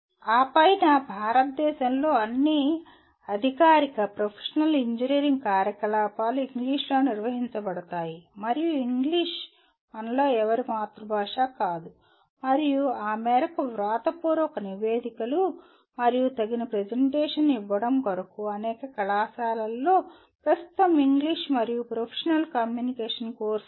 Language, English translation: Telugu, And on top of that the all formal professional engineering activities in India are conducted in English and English is not mother tongue for any one of us and to that extent one has to get adequate proficiency for both writing reports as well as making presentations and many colleges as of now they do have a course in English and Professional Communication